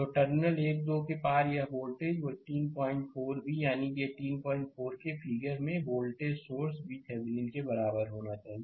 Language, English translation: Hindi, So, that open circuit voltage across the terminal 1 2 must be equal to the voltage source V Thevenin